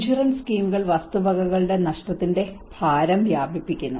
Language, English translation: Malayalam, Insurance schemes spread the burden of property losses